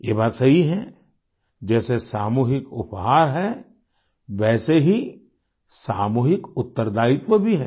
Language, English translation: Hindi, It is correct that just as there is a collective gift, there is a collective accountability too